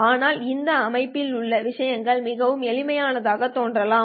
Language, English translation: Tamil, But if in this system things seem to be very simple, actually things are not really simple